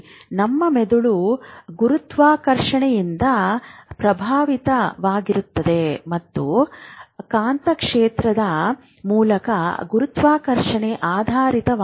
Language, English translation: Kannada, Now, whether our brain is affected by gravity, it is oriented to gravity through the magnetic field, we don't know